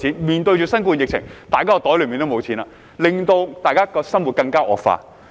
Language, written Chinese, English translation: Cantonese, 面對新冠肺炎疫情，大家的口袋也沒有錢了，結果大家的生活更加差。, Faced with the coronavirus epidemic we all have no money in our pockets and our lives have become even worse as a result